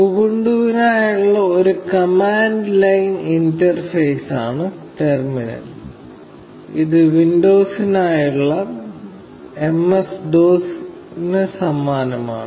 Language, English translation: Malayalam, The terminal is a command line interface for Ubuntu, and it is very similar to MSDOS for windows